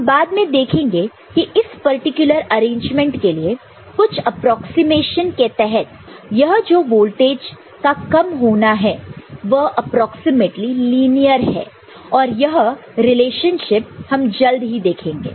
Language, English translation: Hindi, We shall see later for this particular arrangement under certain approximation this fall is approximately linear, that relationship we shall soon see